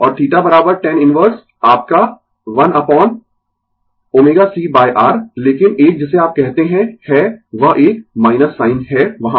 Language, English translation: Hindi, And theta is equal to tan inverse your 1 upon omega c by R, but one what you call that one minus sign is there right